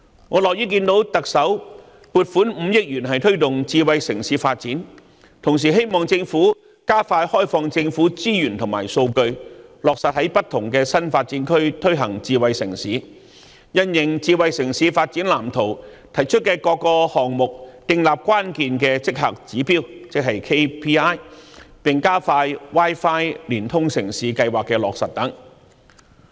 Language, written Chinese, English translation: Cantonese, 我樂於看到特首撥款5億元推動智慧城市發展，同時希望政府加快開放政府資源和數據，落實在不同的新發展區推行智慧城市，因應《香港智慧城市藍圖》提出的各個項目，訂立關鍵績效指標，並加快落實 Wi-Fi 連通城市計劃等。, I am glad to see that the Chief Executive will allocate 500 million to promoting smart city development . Meanwhile I hope that the Government will speed up work in opening up government resources and data implement smart city measures in various new development areas set Key Performance Indicators KPIs for the various projects proposed in the Smart City Blueprint for Hong Kong and expedite the implementation of the Wi - Fi Connected City Programme